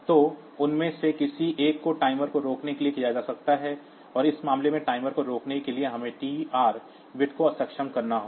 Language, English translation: Hindi, So, either of them can be done for stopping the timer, and in this case to stop the timer we have to disable the TR bit